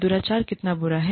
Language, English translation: Hindi, How bad, is the misconduct